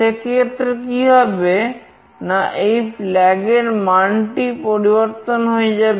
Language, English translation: Bengali, In that case, what will happen is that this flag value will change